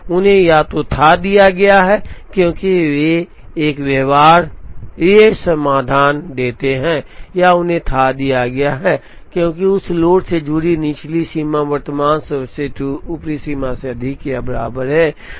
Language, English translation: Hindi, They have been fathomed either, because they give a feasible solution or they have been fathomed, because the lower bound associated with that load is greater than or equal to the current best upper bound